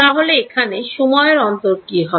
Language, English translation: Bengali, So, what is the time period there